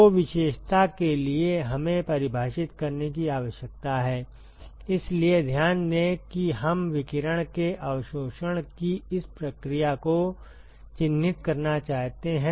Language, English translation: Hindi, So, in order to characterize we need to define, so note that we want to characterize this process of absorption of radiation